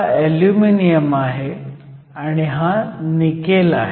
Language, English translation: Marathi, So, this material is Aluminum and this is Nickel